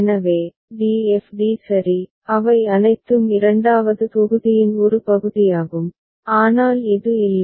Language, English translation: Tamil, So, d f d ok, they are all they are part of the second block, but this is not